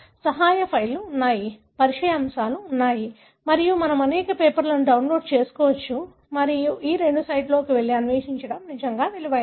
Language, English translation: Telugu, There are help files, there are introductory topics and we can download many of the papers and it is really worth going and exploring in these two sites